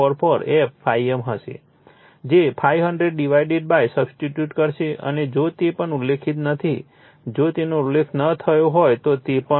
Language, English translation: Gujarati, 44 f ∅ m that will be 500 divided / you substitute and the if even it is not mentioned; even if it is not mentioned right